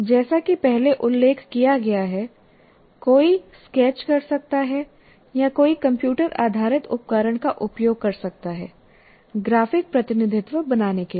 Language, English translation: Hindi, As I said, one can sketch or one can use a computer based tool to create your graphic representations